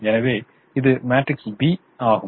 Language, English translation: Tamil, so this is your matrix b